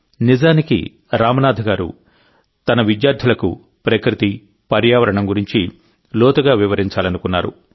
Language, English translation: Telugu, Actually, Ramnath ji wanted to explain deeply about nature and environment to his students